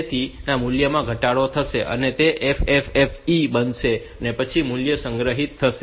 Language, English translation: Gujarati, So, that the value will be decremented, it will become FFFE and then the value will be store stored